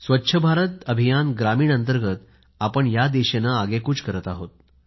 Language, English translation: Marathi, Under the Swachch Bharat Mission Rural, we are taking rapid strides in this direction